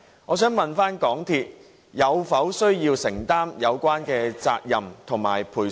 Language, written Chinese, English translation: Cantonese, 我想問港鐵需否承擔有關責任及賠償？, May I ask whether MTRCL needs to bear the responsibility and make compensation?